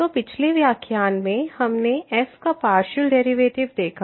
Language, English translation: Hindi, So, in the last lecture what we have seen the partial derivatives of